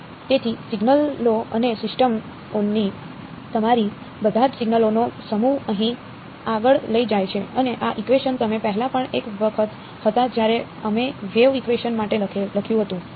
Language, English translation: Gujarati, So, all your intuition of signals and systems carries forward over here and this equation you have already been once before when we wrote down for the wave equation right